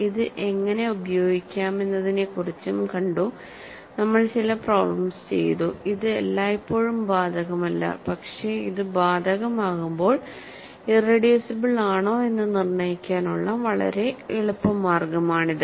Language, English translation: Malayalam, And we also did some problems on how to use it, it is not always applicable, but when its applicable, it is a very easy way of determining irreducibility